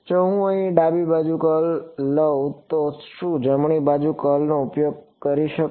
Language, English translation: Gujarati, If I take a curl over here on the left hand side can I get use the curl on the right hand side